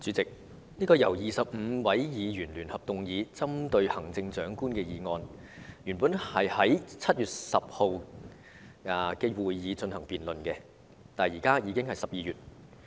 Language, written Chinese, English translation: Cantonese, 主席，這項由25位議員聯合動議、針對行政長官的議案，原訂在7月10日的會議上進行辯論，但現在已經是12月了。, President this motion jointly initiated by 25 Members and pinpointing the Chief Executive was originally scheduled for debate at the meeting of 10 July but December is with us now